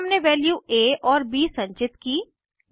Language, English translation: Hindi, Then we stored the value in a and b